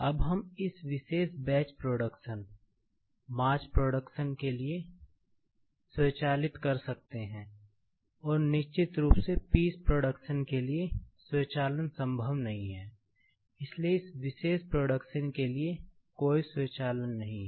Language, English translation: Hindi, Now, we can automate this particular batch production, mass production and of course for piece production, automation is not possible; so there is no automation for this particular piece production